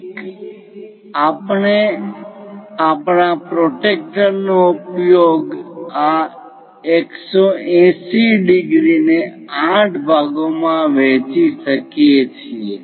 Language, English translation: Gujarati, One, we can use our protractor divide this 180 degrees into 8 parts